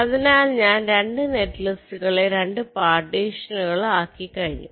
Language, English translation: Malayalam, so i have already divided two netlist into two partitions